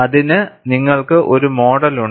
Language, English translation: Malayalam, And you have a model for that